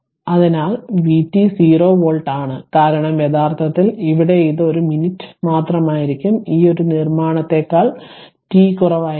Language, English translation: Malayalam, So, v t is 0 volt, for t actually here ah it will be just one minute it will be t less than it will be t less than right this we make right